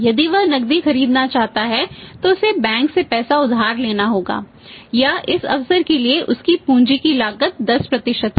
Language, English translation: Hindi, If you want to buy on cash he will have to borrow money from the bank or his cost of capital for this is opportunity cost is again 10%